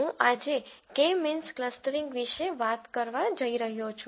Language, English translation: Gujarati, I am going to talk about K means clustering today